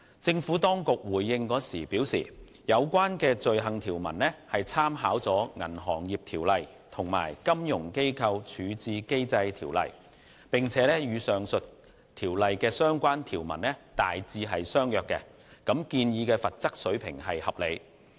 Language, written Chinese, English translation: Cantonese, 政府當局回應時表示，有關罪行條文參考了《銀行業條例》及《金融機構條例》，並與上述條例的相關條文大致相若，建議罰則水平合理。, In response the Administration has advised that in formulating the offence provisions it has made reference to BO and the Financial Institutions Resolution Ordinance and the provisions are broadly in line with those under the two Ordinances . So the proposed penalties are reasonable